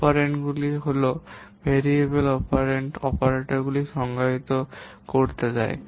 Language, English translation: Bengali, So, the operands are those variables and the constants which are being used in operators in expression